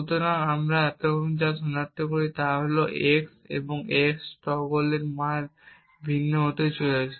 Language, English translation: Bengali, So, what we identify is that the value of x and x~ is going to be different